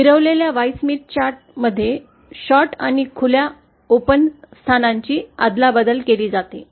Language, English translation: Marathi, In the rotated Y Smith chart, the short and open positions are exchanged